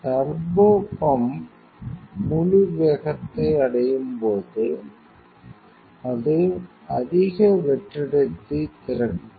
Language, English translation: Tamil, So, when the turbopump full speed will achieve after that it will go to open the high vacuum